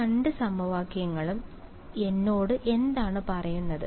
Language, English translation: Malayalam, So, what do these two equations tell me